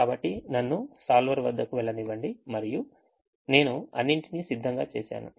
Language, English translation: Telugu, so let me go to the solver and i have done everything all ready